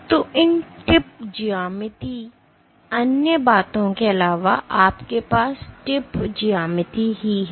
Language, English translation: Hindi, So, these the tip geometry so, among the other things what you have is the tip geometry